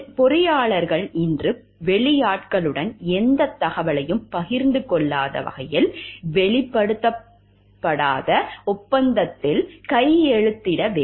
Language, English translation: Tamil, Engineers today are required to sign a disclosure, non disclosure agreement which binds them from sharing any information with outsiders